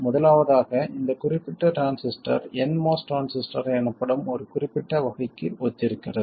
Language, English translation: Tamil, First of all this particular transistor corresponds to one particular type called the NMOS transistor